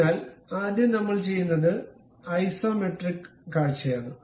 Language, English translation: Malayalam, So, first thing what we will do is look at isometric view